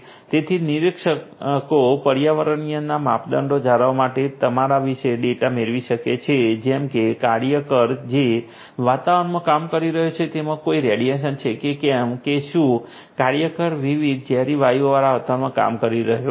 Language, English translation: Gujarati, So, the supervisors can get data about you know the environmental parameters such as whether there is any radiation in the environment in which the worker is working or whether the worker is working in an environment a with different toxic gases